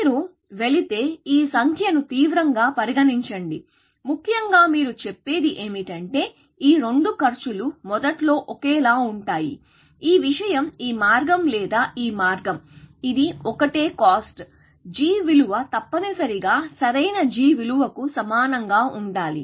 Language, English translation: Telugu, If you go, take this figure seriously, then essentially, what you are saying is that both these costs are initially of the same, this thing, whether this path or this path, it is the same cost; g value must equal to the optimal g value